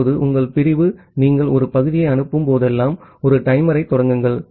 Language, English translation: Tamil, Now, whenever your segment whenever you are sending a segment you start a timer